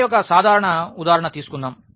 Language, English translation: Telugu, And then let us take a simple example